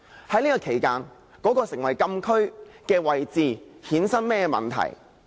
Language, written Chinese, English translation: Cantonese, 在這期間，那個成為禁區的位置會衍生甚麼問題？, What problems will arise from the designation of the closed area?